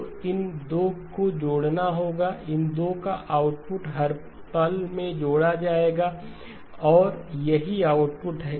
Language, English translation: Hindi, So these 2 have to be added, output of these 2 get added at every instant of time and that is the output